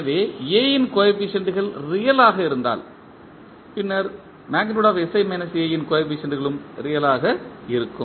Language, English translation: Tamil, So, coefficient of A are real then the coefficient of sI minus A determinant will also be real